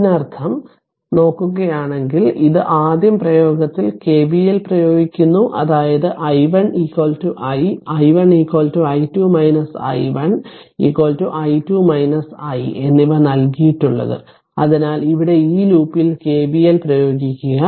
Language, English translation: Malayalam, So, next that means if you look into this you apply KVL here first in you apply that is whatever given the i 1 is equal to i and i 1 is equal to i 2 minus i 1 is equal to i 2 minus i, so here you apply KVL in this loop right